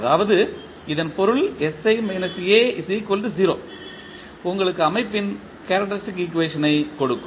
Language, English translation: Tamil, So, that means that the determinant of sI minus A equal to 0 will give you the characteristic equation of the system